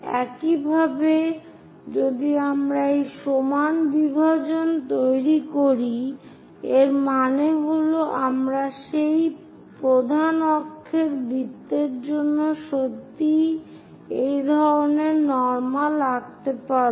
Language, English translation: Bengali, Similarly, if we by making this equal division, that means, we will be in a position to really draw such kind of normals for this major axis circle